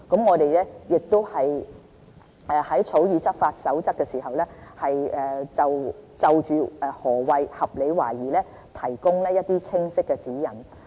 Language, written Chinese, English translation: Cantonese, 我們會在草擬執法守則的時候，就何謂"合理懷疑"提供一些清晰的指引。, When drafting the enforcement guidelines we will provide a clear definition of reasonable suspicion